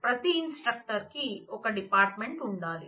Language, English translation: Telugu, Certainly, every instructor must have a department